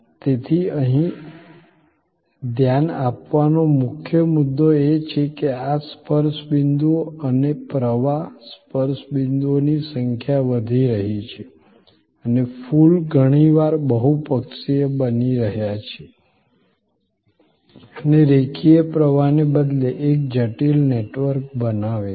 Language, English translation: Gujarati, So, the key point here to notices that this touch points and the flow, the touch points, the number of touch points are increasing and the flower are often becoming multi lateral and creating a complex network rather than a linear flow